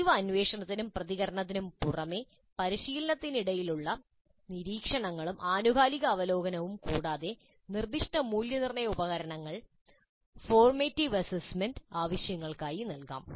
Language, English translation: Malayalam, Apart from the regular probing and responding observations during practice and periodic review, specific assessment instruments could be administered for formative assessment purposes